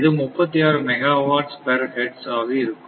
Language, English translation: Tamil, So, it is 36 megawatt per hertz right